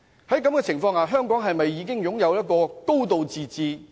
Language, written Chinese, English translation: Cantonese, 在這情況下，香港是否已擁有"高度自治"？, Does Hong Kong have a high degree of autonomy under such circumstances?